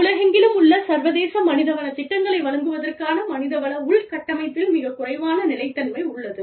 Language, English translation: Tamil, There is very little consistency in human resource infrastructure, for delivery of international HR programs, around the world